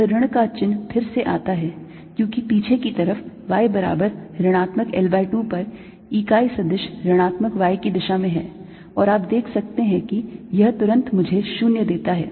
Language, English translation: Hindi, this minus sign again arises because on the backside, at y equals minus l by two, the unit vector is in the minus y direction and this, you can see immediately, gives me zero